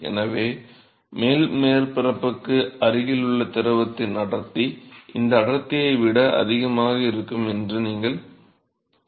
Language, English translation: Tamil, So, you expect that the density of the fluid near the top surface is going to be greater than the, density will get leads to the bottom surface